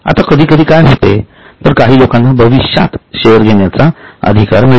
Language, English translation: Marathi, Now sometimes what happens is a few people are entitled to receive share in future